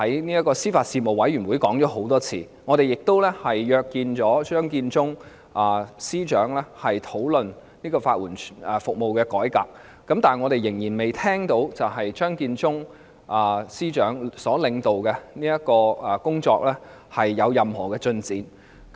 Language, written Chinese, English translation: Cantonese, 我們在司法事務委員會已多次進行討論，亦曾約見張建宗司長討論法援服務的改革，但我們仍然未聽到由張建宗司長領導的工作有任何進展。, We have already conducted a number of discussions in the Panel on Administration of Justice and Legal Services . We have also met with Chief Secretary for Administration Matthew CHEUNG to discuss the reform of legal aid services . But we have yet to hear any progress in the work led by Chief Secretary Matthew CHEUNG